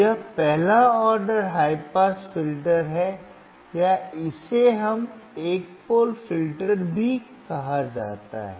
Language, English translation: Hindi, This is first order high pass filter or it is also called one pole filter